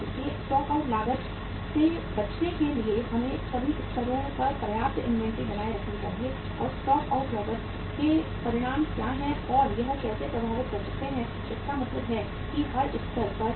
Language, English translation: Hindi, So to avoid the stock out cost we should maintain sufficient inventory at all levels and what the repercussions of the stock out cost and how it can impact means the firm at every level